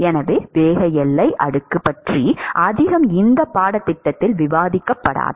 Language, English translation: Tamil, So, not much about momentum boundary layer will be covered in this course